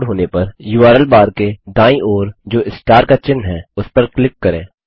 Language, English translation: Hindi, Once the page loads, click on the star symbol to the right of the URL bar